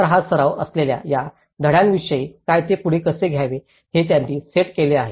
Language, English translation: Marathi, So, what about these lessons in these with the practice, they have set up how to take it forward